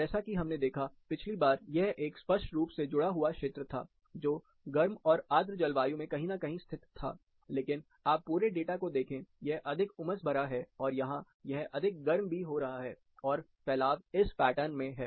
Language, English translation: Hindi, As such we looked at, last time, it was a clear connect located somewhere in warm and humid, but you look at the whole data, it is more sultry, it is also getting more hot, but the dispersion is in this pattern